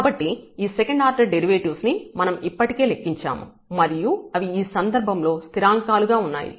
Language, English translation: Telugu, So, all these second order derivatives we have already computed and they are actually constant in this case